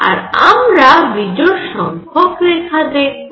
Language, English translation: Bengali, So, I would see odd number of lines